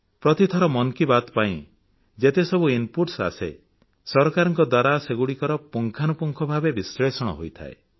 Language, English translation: Odia, Every time the inputs that come in response to every episode of 'Mann Ki Baat', are analyzed in detail by the government